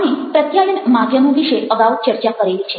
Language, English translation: Gujarati, we have already talked about channels of communications